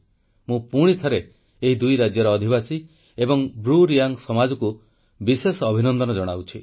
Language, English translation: Odia, I would once again like to congratulate the residents of these states and the BruReang community